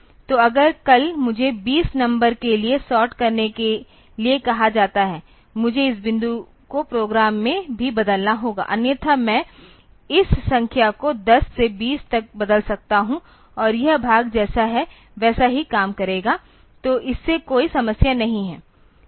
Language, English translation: Hindi, So, if tomorrow if I am asked to sort for 20 numbers; I have to change this point also in the program, but if I otherwise I can just change this number 10 to 20 and this part will be working as it is; so, there is no problem with that